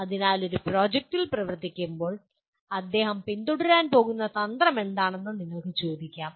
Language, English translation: Malayalam, So you can ask what is the strategy that he is going to follow when he is working on a project